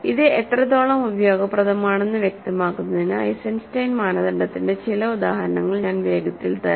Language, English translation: Malayalam, So, now let me quickly give you some examples of Eisenstein criterion to illustrate how useful it is